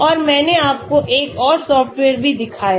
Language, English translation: Hindi, and I also showed you another software